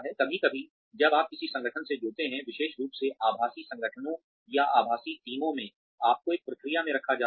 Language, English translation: Hindi, Sometimes, when you join an organization, especially in virtual organizations, or virtual teams, you are put through a process